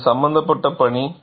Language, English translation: Tamil, It is a challenging task